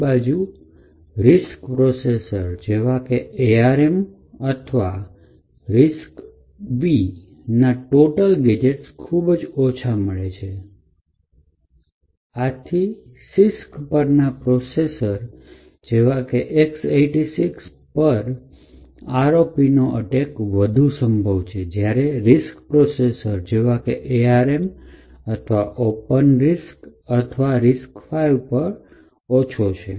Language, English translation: Gujarati, On the other hand for RISC processor such as ARM or RISC V the number of gadgets that we find are much more lesser thus CISC based processors such as the X86 are more prone to ROP attacks then RISC processor such as ARM or OpenRISC or RISC5